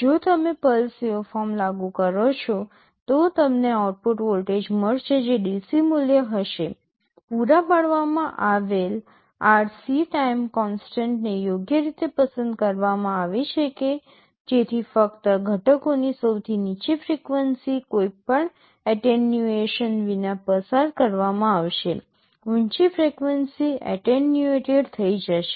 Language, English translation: Gujarati, If you apply a pulse waveform, you will be getting an output voltage which will be the DC value; provided the RC time constant is chosen in a suitable way such that only the lowest frequency of components will be passed without any attenuation, the higher frequency will get attenuated